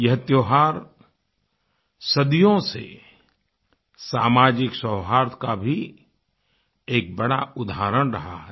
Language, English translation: Hindi, For centuries, this festival has proved to be a shining example of social harmony